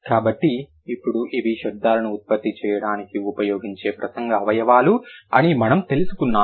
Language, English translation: Telugu, So, now we got to know that, okay, these are the speech organs which are used to produce the sounds